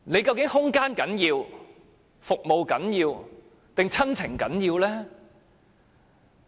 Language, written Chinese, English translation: Cantonese, 究竟是空間、服務重要，還是親情重要呢？, Is it more important for them to have more room better services or remain close to their family?